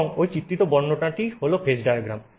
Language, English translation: Bengali, So, this is called a phase diagram